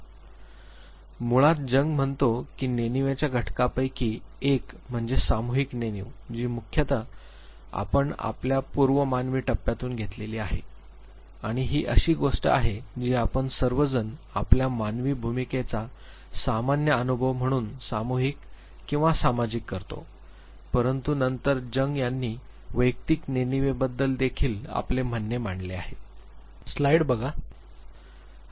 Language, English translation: Marathi, So, basically one of the elements of unconscious he says that is the collective unconscious which primarily is something which, we have borrowed from our pre human stage and this is something that we all share our common past experience as a human race, but then Jung also talks about the personal unconscious